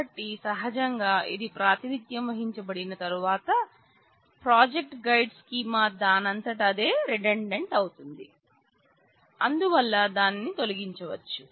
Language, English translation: Telugu, So, naturally once this has been represented; the project guide schema by itself becomes redundant and therefore, it can be removed